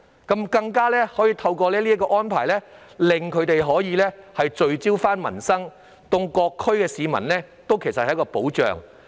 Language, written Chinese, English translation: Cantonese, 再者，落實宣誓的安排可令區議員聚焦民生，對各區市民都是一種保障。, Furthermore the implementation of the oath - taking arrangements can make DC members focus on livelihood issues which is indeed a kind of protection for the residents in various districts